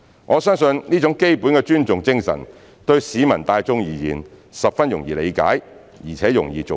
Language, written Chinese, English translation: Cantonese, 我相信這種基本的尊重精神，對市民大眾而言十分容易理解，而且容易做到。, I believe this basic spirit of respect is easy to understand and not hard to follow by the general public